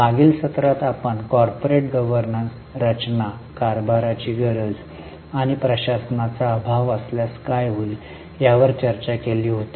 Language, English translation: Marathi, In the last session we had discussed corporate governance, the structure, the need for governance and what will happen if there is a lack of governance